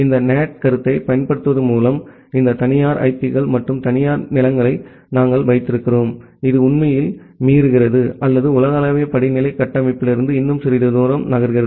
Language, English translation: Tamil, Also we have these private IPs and private lands in between by utilizing this NAT concept which actually violates or which actually moves little bit further from the global hierarchical structure